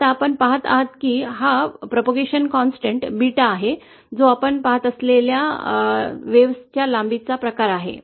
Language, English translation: Marathi, Now what you see is that this propagation constant Beta, which is the, which is kind of the apparent wave length that we observe